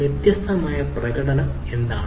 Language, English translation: Malayalam, so what are the different performance